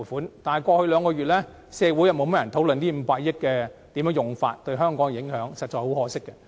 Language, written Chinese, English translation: Cantonese, 可是，在過去兩個月，社會卻甚少討論這500億元的使用及其對香港的影響，實在可惜。, It is a shame that society has rarely talked about the use of this 50 billion and its impacts on Hong Kong in the past two months